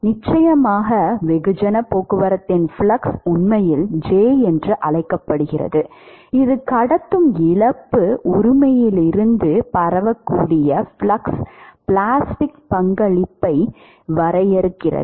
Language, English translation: Tamil, In fact, you may recall in your transport, course the flux of mass transport was actually called as J it is defined as the diffusive flux plastic contribution from the conductive loss right